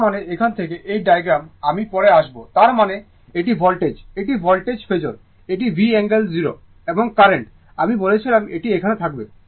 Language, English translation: Bengali, That means, from here, this diagram, I will come to later; that means, this is my voltage, this is my voltage phasor, that is V angle 0 and current, I told you it will be here